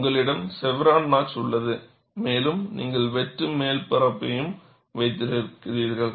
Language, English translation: Tamil, You have the chevron notch here and you also have the cut top surface